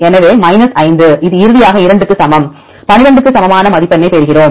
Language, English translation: Tamil, So, 5 this is equal to 2 finally, we get the score that is equal to 12